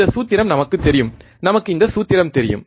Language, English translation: Tamil, This is the formula we know we know this formula, right